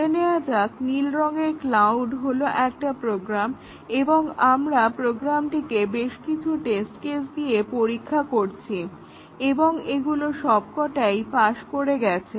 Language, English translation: Bengali, Let us assume that, this blue cloud is a program and we tested the program with a number of test cases; and they all passed